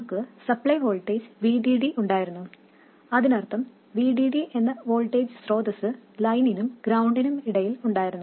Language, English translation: Malayalam, By the way, this VDD of course also means that there is a voltage source of VD between there and ground